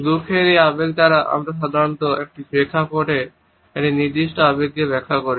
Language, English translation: Bengali, By this emotion of sadness we normally interpret a particular emotion within a given context